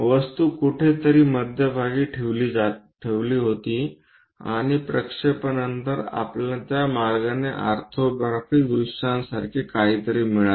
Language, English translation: Marathi, The object somewhere kept at middle and after projections we got something like orthographic views in that way